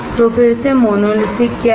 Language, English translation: Hindi, So, what is monolithic again